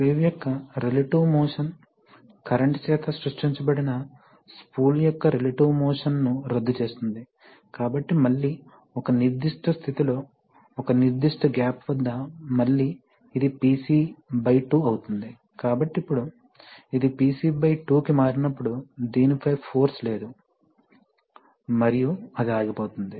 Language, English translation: Telugu, So, again the relative motion this motion of the sleeve will nullify the relative motion of the spool which was created by the current, so again at a certain position, at a certain, at a certain gap again this will become PC by 2, so now the, when it, the moment it becomes PC by two, there is no force on this and it will come to stop